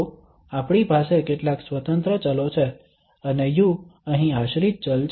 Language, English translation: Gujarati, So we have several independent variables and u here is dependent variable